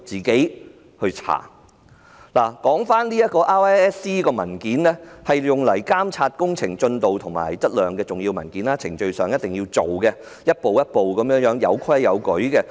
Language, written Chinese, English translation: Cantonese, 檢查及測量申請表格是監察工程進度和質量的重要文件，須依照程序中各個步驟提出及處理，有規有矩。, RISC forms are important documents for monitoring the progress and quality of construction works and they must be submitted and handled in accordance with various steps in the procedure in an orderly manner